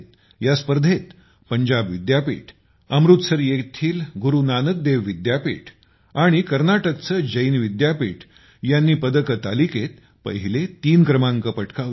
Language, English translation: Marathi, Our youth have broken 11 records in these games… Punjab University, Amritsar's Guru Nanak Dev University and Karnataka's Jain University have occupied the first three places in the medal tally